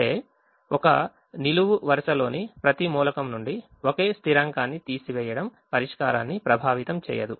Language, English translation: Telugu, subtracting the same constant from every element in a column will not affect the solution